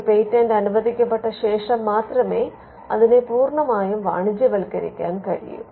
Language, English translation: Malayalam, So, when a patent gets granted it is only after the grant that patent can be fully commercialized